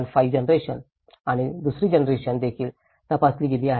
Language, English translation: Marathi, 5 generation and the second generation also have been investigated